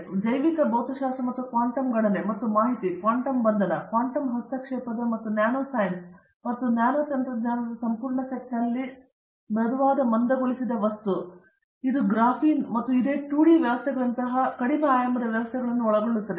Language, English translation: Kannada, And, we have soft condensed matter on bio physics and quantum computation and information, quantum confinement, quantum interference and the entire set of nanoscience and nanotechnology and this involves low dimensional systems like graphene and similar 2D systems